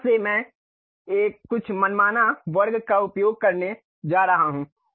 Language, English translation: Hindi, From there centered one I am going to use some arbitrary square